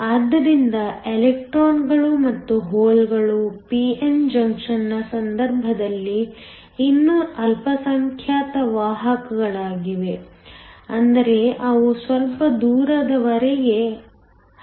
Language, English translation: Kannada, So, the electrons and holes are still minority carriers in the case of p n junction, which means they can diffuse for some distance